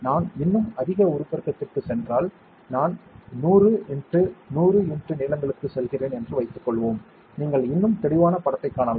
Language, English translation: Tamil, If I go to even higher magnification let us say I go to 100 x, 100 x lengths, you can see much more clearer picture